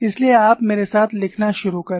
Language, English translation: Hindi, So, you start writing with me